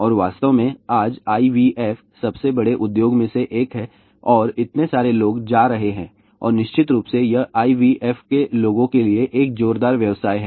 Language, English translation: Hindi, And in fact, today IVF is one of the biggest industry and there are so many people are going and of course, it is a roaring business for IVF people